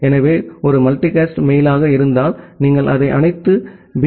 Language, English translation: Tamil, So, in case of a multicast mail, say if you want to send it to all the B